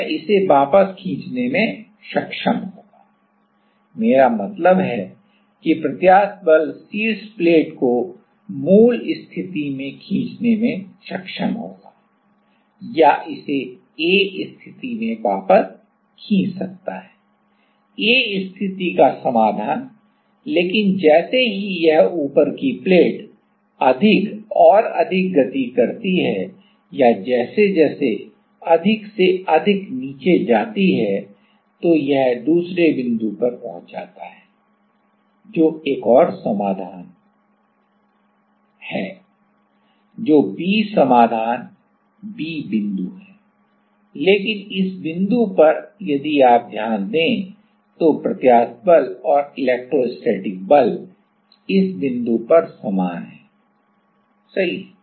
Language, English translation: Hindi, So, it will be able to pull it back, I mean the elastic force will be able to pull the top plate to it is original position right or pull it back to the A position, solution to the A position, but as it moves more and more or as it goes down more and more the top plate, then it reaches another point, which is another solution that is the B solution B point, but in this point if you note that the elastic force and the electrostatic force are same at this point right